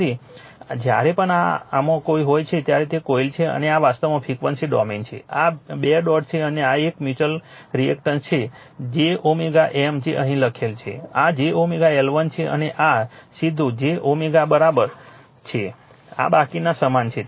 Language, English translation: Gujarati, So, whenever this is in this is what you coil and this is actually frequency domain that is this is 2 dot and this is a mutual reactance j omega M which is written here, this is j omega L 1 and this is directly j omega L 2rest are same right